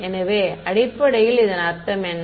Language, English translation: Tamil, So, what is that basically mean